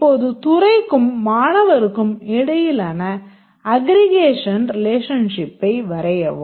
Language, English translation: Tamil, So, the department and student is a aggregation relationship